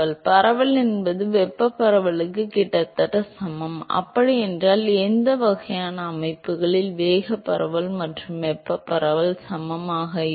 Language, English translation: Tamil, diffusivity is almost equal to thermal diffusivity, when is that the case what kind of systems will have momentum diffusivity and thermal diffusivity equal